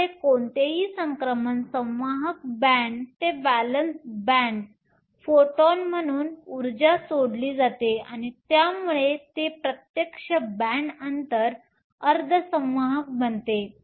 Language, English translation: Marathi, So any transition from the conduction band to the valence band can be accompanied by release of energy as a photon, and this makes it a direct band gap semiconductor